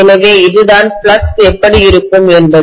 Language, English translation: Tamil, So this is how the flux would be